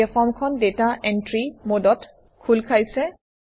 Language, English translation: Assamese, Now the form is open in data entry mode